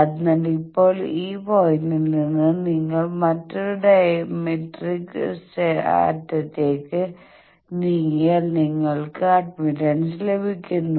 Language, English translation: Malayalam, So, now it is easier that this point you just proceed to the other diametric end that will be the admittance